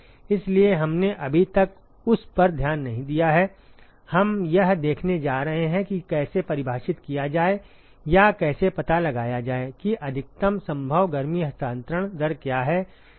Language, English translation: Hindi, So, we have not looked at that so far, we are going to see how to define or how to find out what is the maximum possible heat transfer rate ok